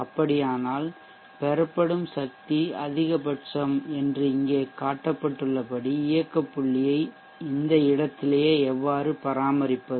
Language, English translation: Tamil, There in that case how do we still maintain the operating point to be at this point as shown here such that the power drawn is maximum